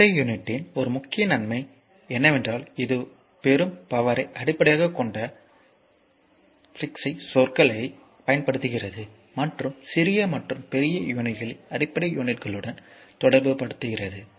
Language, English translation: Tamil, So, one major advantage of the SI unit is that, it uses prefix says based on the power obtain and to relates smaller and larger units to the basic units